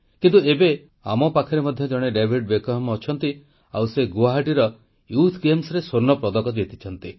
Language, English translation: Odia, But now we also have a David Beckham amidst us and he has won a gold medal at the Youth Games in Guwahati